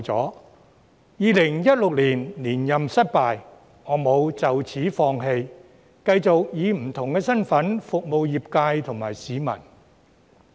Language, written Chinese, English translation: Cantonese, 雖然2016年連任失敗，我沒有就此放棄，繼續以不同身份服務業界及市民。, Despite my failure to get re - elected in 2016 I refused to give up and kept serving my sectors and the public in a different capacity